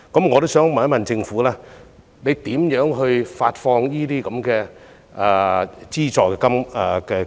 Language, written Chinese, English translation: Cantonese, 我也想問政府會怎樣發放資助金額？, May I ask how the Government will hand out the subsidy?